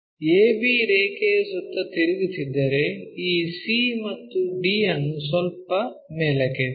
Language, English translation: Kannada, If we are rotating about A B line, lifting up this C and D bit up